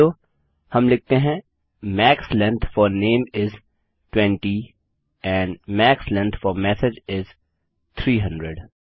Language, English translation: Hindi, Otherwise we will say Max length for name is 20 and max length for message is 300